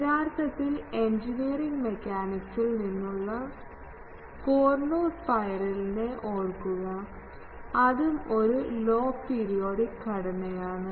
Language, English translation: Malayalam, Actually if we remember the cornu spiral from our engineering mechanics days, that is also a log periodic structure